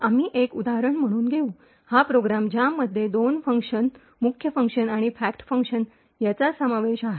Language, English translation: Marathi, So we will take as an example, this particular program, which comprises of two functions, a main function and fact function